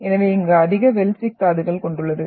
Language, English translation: Tamil, So they are having more felsic minerals here